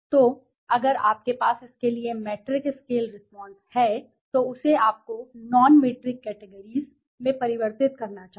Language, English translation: Hindi, So, if you have a matrix scale response as it saying, you should convert into non metric categories